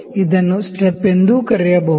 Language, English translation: Kannada, This can also be called as the step